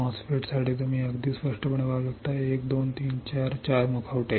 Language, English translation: Marathi, For MOSFET you can see very clearly 1 2 3 4; 4 mask